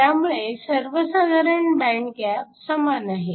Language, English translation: Marathi, So, the overall band gap is the same